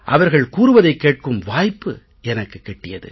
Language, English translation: Tamil, I had the opportunity to hear them speak